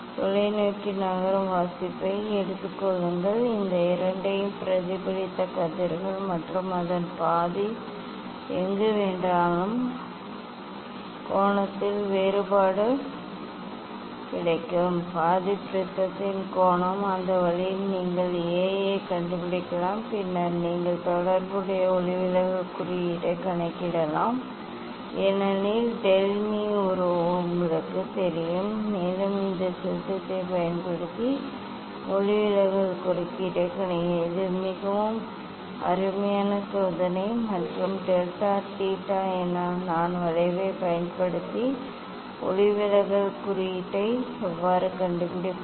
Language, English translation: Tamil, take reading moving the telescope take reading for this both reflected rays and half of it wherever the angle you will get difference half of it is the angle of prism that way also you can find out A and then you calculate the corresponding refractive index because del m and a is known to you and you calculate the refractive index using this formula this is a very nice experiment and how to find out the refractive index using the delta theta i curve